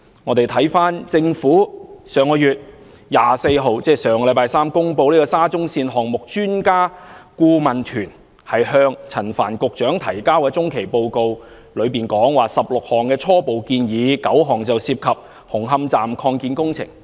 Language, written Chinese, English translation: Cantonese, 回看政府上月24日公布沙中線項目專家顧問團向陳帆局長提交的中期報告，當中提出了16項初步建議 ，9 項涉及紅磡站擴建工程。, Reviewing the interim report submitted to Secretary Frank CHAN by the Expert Adviser Team on the Shatin to Central Link Project which was released by the Government on the 24th of last month nine out of the 16 preliminary recommendations made therein are related to the Hung Hom Station Extension works